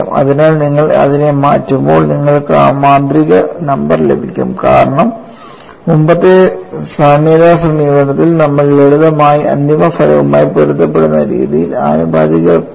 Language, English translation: Malayalam, So, when you substitute, you will get that magical number, because in the earlier derivation of the analogy approach, we simply took the proportionality constant in a manner which is consistent with the final result